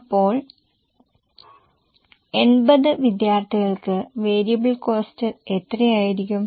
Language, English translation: Malayalam, Now how much will be the variable cost for 80 students